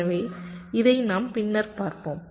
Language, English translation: Tamil, ok, so we shall see this subsequently